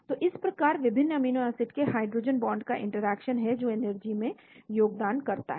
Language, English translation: Hindi, So this is how the interactions bring the hydrogen bonds in various amino acids contribute to the energy